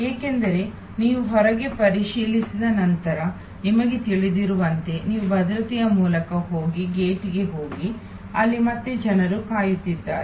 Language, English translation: Kannada, Because, as you know after you check in outside then you go through security and go to the gate, where again there is a pooling people are waiting